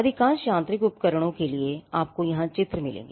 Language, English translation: Hindi, For most mechanical devices, you will find drawings now here is a drawing